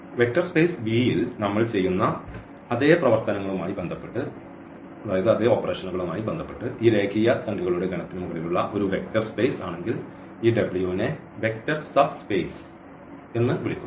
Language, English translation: Malayalam, If this W itself is a vector space over the same the set of these real numbers with respect to the same operations what we are done in the vector space V then this W is called a vector subspace